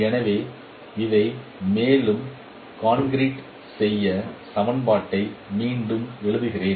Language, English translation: Tamil, So let me give you the, let me write the equation once again